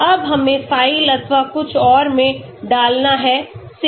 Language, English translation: Hindi, Now we need to put in the file or something, save